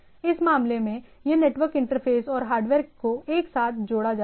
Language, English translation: Hindi, In this case it has been network interface and hardware are clubbed together